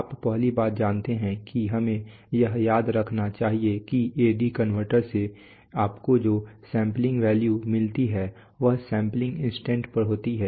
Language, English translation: Hindi, You know first thing that we must remember that the sampling value which you get from the A/D converter is at the sampling instant